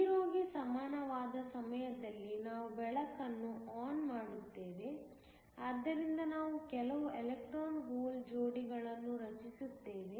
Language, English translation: Kannada, At time equal to 0 we turn on the light so that, we have some electron hole pairs being created